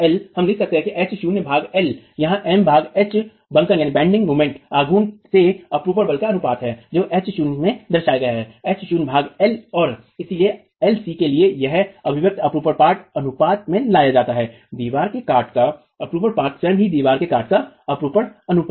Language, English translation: Hindi, We write that down as H0 by L, this M by H, the ratio of the bending moment to the shear force expressed as H0, H0 by L, and therefore this expression for LC brings in the shear span ratio, shear span of the section of the wall itself, the shear ratio of the wall section itself